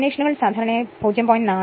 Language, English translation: Malayalam, The laminations are usually 0